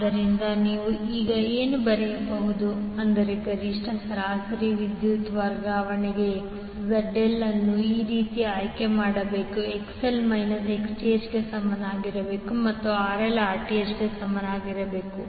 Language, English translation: Kannada, So, what you can write now that for maximum average power transfer ZL should be selected in such a way, that XL should be equal to the minus Xth and RL should be equal to Rth